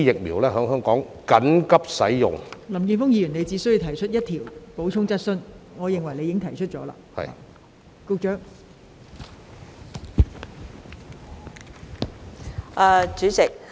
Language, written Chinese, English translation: Cantonese, 林健鋒議員，你只可提出一項補充質詢，而我認為你已提出你的補充質詢。, Mr Jeffrey LAM you can only ask one supplementary question and I think that you have already raised your supplementary question